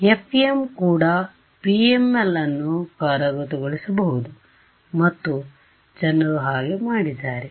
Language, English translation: Kannada, Even FEM we can implement PML and people have done so ok